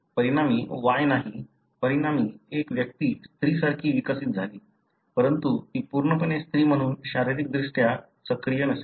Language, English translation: Marathi, As a result there is no Y, as a result that individual developed like a female, but she may not be completely, physiologically active as a female